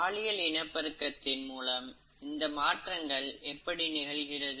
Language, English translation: Tamil, Now how are these variations through sexual reproduction brought about